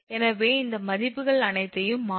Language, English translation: Tamil, So, substitute all these value